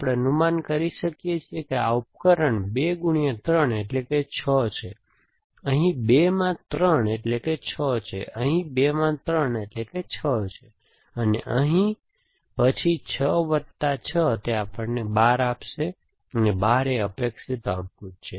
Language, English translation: Gujarati, We can predict that what this device will produced is 2 into 3 is 6, here 2 into 3 is 6, here 2 into 3 is 6, here and then 6 plus 6, it should give us 12 and should give a 12, that is the expected output essentially